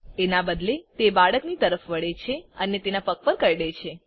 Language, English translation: Gujarati, Instead it turns towards the boy and bites him on the foot